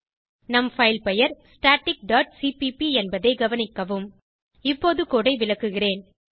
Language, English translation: Tamil, Note that our file name is static dot cpp Let me explain the code now